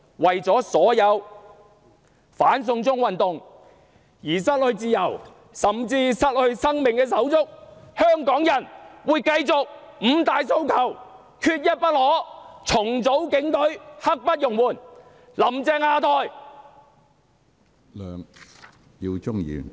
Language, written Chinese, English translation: Cantonese, 為了所有因"反送中"運動而失去自由，甚至失去生命的手足，香港人會繼續高呼："五大訴求，缺一不可"；"重組警隊，刻不容緩"；"'林鄭'下台！, For the sake of all the brothers and sisters who have lost their freedom and even their lives fighting for the cause of the anti - extradition to China movement Hongkongers will keep chanting aloud Five demands not one less! . ; Restructure the Police Force now! . ; Down with Carrie LAM!